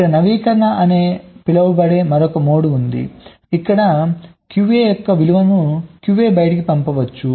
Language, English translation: Telugu, there is another mode, called update, where q a, two out, the value of q a can go to out